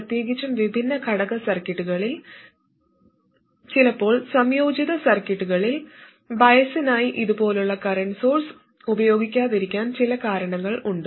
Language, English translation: Malayalam, Especially in discrete component circuits, and sometimes in integrated circuits, there is some motivation to not use a current source like this for biasing